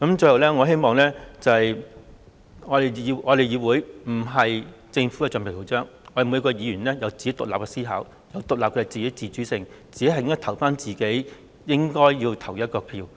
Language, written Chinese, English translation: Cantonese, 最後，我希望我們議會不是政府的橡皮圖章，我們每名議員都有自己獨立的思考和自主性，只會投自己該投的票。, Lastly it is my hope that our Council is not a rubber stamp of the Government and every Member has his own independent thinking and autonomy and can vote with his free will